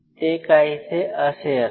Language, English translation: Marathi, So, something like this